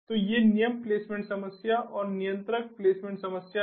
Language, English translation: Hindi, so these are the rule placement problem and the controller placement problem